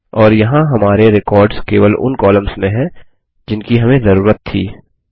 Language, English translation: Hindi, And there are our records with only those columns that we needed